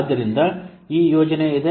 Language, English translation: Kannada, So this project is there